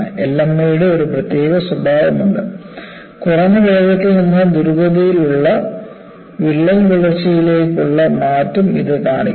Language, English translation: Malayalam, And there is a typical characteristic of LME, what it shows is, it shows a rapid transition from slow to rapid crack growth